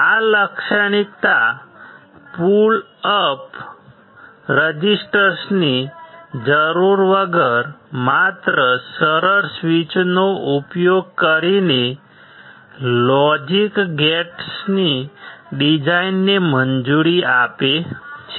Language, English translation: Gujarati, This characteristic allows the design of logic gates using only simple switches without need of pull up resistors, when we do not require pull up resistors